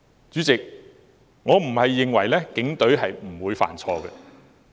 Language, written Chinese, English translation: Cantonese, 主席，我並非認為警隊不會犯錯。, Chairman I do not mean that the Police will make no mistakes